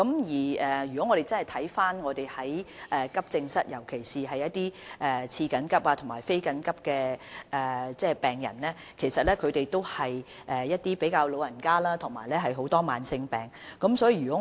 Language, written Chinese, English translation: Cantonese, 使用急症室服務的病人，尤其是被列為次緊急及非緊急的病人，其實均是一些年長及患有慢性疾病的市民。, AE patients especially those triaged as having semi - urgent and non - urgent conditions are mostly elderly persons and chronic patients